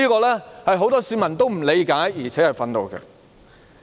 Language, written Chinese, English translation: Cantonese, 這是很多市民不理解，而且感到憤怒的。, Many members of the public have considered this incomprehensible and infuriating